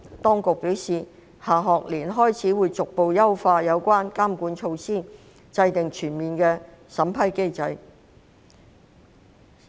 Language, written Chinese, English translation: Cantonese, 當局表示，下學年開始會逐步優化有關的監管措施，並制訂全面的審批機制。, The authorities advised that the relevant monitoring measures would be gradually optimized starting from next school year and a comprehensive vetting mechanism would be formulated